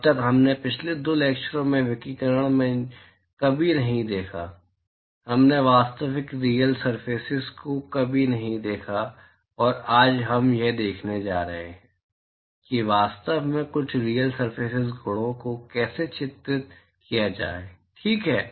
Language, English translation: Hindi, So far we never in radiation the last two lectures, we never looked at the actual real surface and today we are going to see how to actually characterize some of the real surface properties, all right